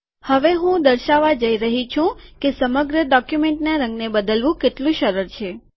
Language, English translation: Gujarati, Now what I am going to show is how easy it is to change the color of the entire document